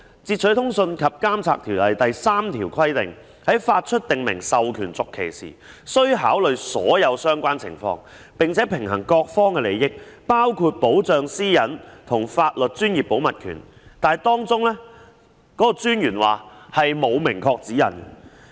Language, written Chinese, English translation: Cantonese, 《截取通訊及監察條例》第3條規定，將訂明授權續期時，須考慮所有相關情況，並平衡各方利益，包括保障私隱和法律專業保密權，但專員指出條例並沒有明確的指引。, Section 3 of the Interception of Communications and Surveillance Ordinance stipulates that in renewing the prescribed authorization all relevant conditions must be considered while a balance must be struck among all the interests of various parties including protection of privacy and legal professional privilege . However the Commissioner pointed out that the Ordinance does not provide any express guidelines